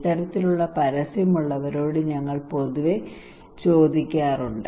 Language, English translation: Malayalam, We generally ask people have this kind of advertisement